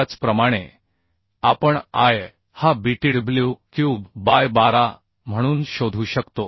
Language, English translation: Marathi, Similarly we can find out I as btw cube by 12